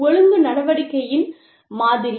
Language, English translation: Tamil, Model of disciplinary action